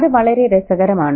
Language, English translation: Malayalam, And that's very interesting